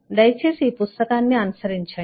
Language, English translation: Telugu, and uh, please follow this book